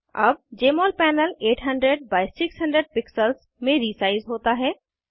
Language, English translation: Hindi, Now the Jmol panel is resized to 800 by 600 pixels